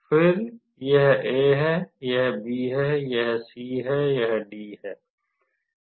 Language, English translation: Hindi, Then, this is A; this is my B; this is C; this is D